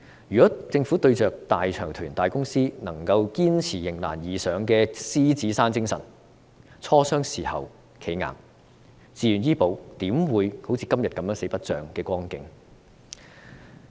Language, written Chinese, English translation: Cantonese, 如果政府對着大財團、大公司，能夠堅持迎難而上的獅子山精神，磋商的時候"企硬"，自願醫保怎會成為今天"四不像"的光景？, Had the Government been able to stand firm in negotiations with large consortia and big corporations upholding the indomitable Lion Rock spirit how would VHIS have ended up neither fish nor fowl today? . I have quoted examples from the domain of public health care to make myself clear